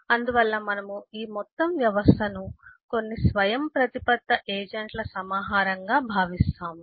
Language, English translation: Telugu, that is why we think of this whole whole system as if it’s a collection of certain autonomous agents